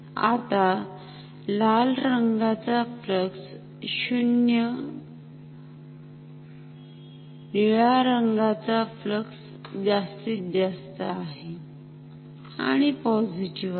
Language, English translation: Marathi, Now, red flux is 0 blue flux is maximum and positive